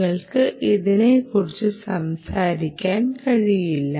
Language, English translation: Malayalam, you can't, you can't be talking about that right